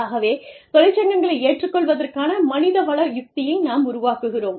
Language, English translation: Tamil, Then, we build our human resources strategy, around the union acceptance, belief of accepting unions